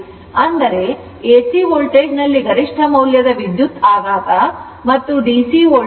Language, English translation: Kannada, That means, in AC voltage you will get the peak value shock and DC voltage you will get 220